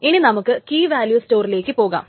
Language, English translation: Malayalam, Let us now move on to key value stores